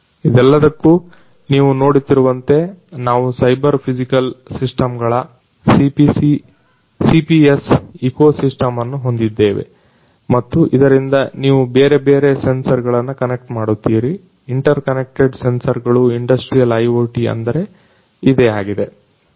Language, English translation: Kannada, For all of these you see what we have is an ecosystem of cyber physical systems CPS and with that you connect different, different sensors interconnected sensors, so that is what the industrial IoT is all about